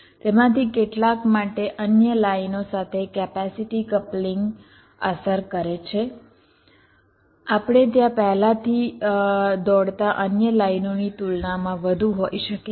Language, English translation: Gujarati, the capacity coupling affect with others lines we already running there can be more as compare to the other lines